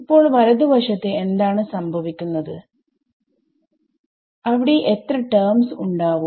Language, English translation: Malayalam, What happens to the right hand side, how many terms are going to be there